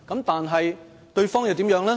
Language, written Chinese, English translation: Cantonese, 但是，對方又如何呢？, However what about their counterparts?